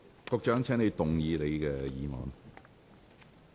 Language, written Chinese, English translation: Cantonese, 局長，請動議你的議案。, Secretary please move your motion